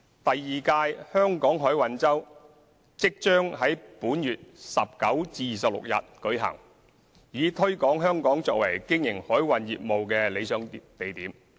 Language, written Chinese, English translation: Cantonese, 第二屆香港海運周即將在本月19日至26日舉行，以推廣香港作為經營海運業務的理想地點。, The second Hong Kong Maritime Week will be held from 19 to 26 this month to promote Hong Kong as an ideal location for operating maritime business